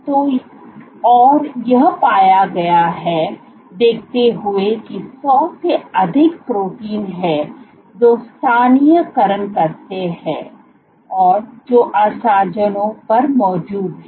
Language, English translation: Hindi, So, given that there are greater than 100 proteins which localizes, which are present at adhesions